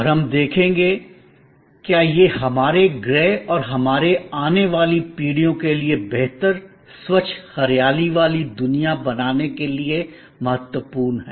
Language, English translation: Hindi, And we will see, why it is important for our planet and for our future generations to create a better, cleaner, greener world